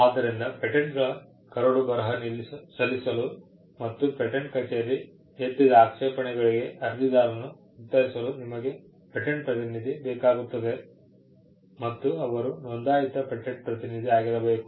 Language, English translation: Kannada, So, to draft and file patents and to answer objections raised by the patent office with regard to an applicant, application, you need to be a patent agent; a registered patent agent